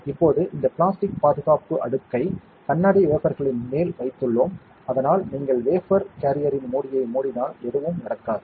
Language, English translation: Tamil, Now, I we have put this protection layer of plastic on top of the glass wafer, so that when you close the lid of the wafer carrier nothing happens